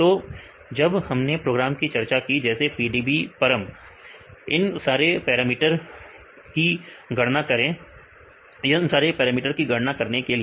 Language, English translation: Hindi, So, when we discussed about the program that is the PDBparam right to see to calculate all these parameters right